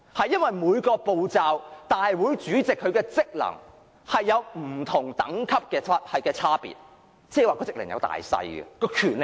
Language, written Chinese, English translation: Cantonese, 因為大會主席與委員會主席的職能有不同等級的差別，即權力是有大小之分的。, Because the Presidents functions are at a different level from those of the Chairmen of committees . That means powers vary in degree